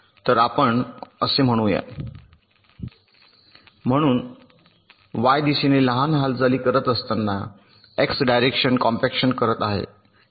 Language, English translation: Marathi, so let say we are performing x direction compaction while making small moves in the y direction